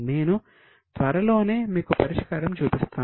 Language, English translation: Telugu, I will be showing you the solution soon